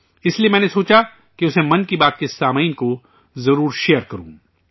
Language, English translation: Urdu, That's why I thought that I must share it with the listeners of 'Mann Ki Baat'